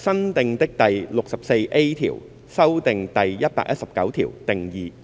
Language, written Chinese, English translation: Cantonese, 新訂的第 64A 條修訂第119條。, New clause 64A Section 119 amended definitions